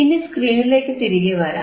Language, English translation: Malayalam, Now, come back to the screen